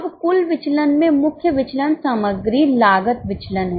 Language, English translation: Hindi, Now, the total variance, the main variance is a material cost variance